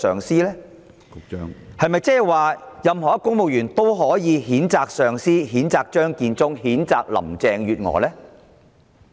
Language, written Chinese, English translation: Cantonese, 是否所有公務員都可以譴責上司、譴責張建宗、譴責林鄭月娥？, Are all civil servants allowed to condemn their superiors Matthew CHEUNG and Carrie LAM?